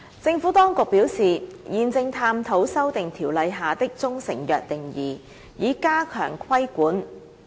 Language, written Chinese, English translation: Cantonese, 政府當局表示，現正探討修訂《條例》下的中成藥定義，以加強規管。, The Administration said that it is exploring amendments to the definition of proprietary Chinese medicine in CMO so as to strengthen the regulation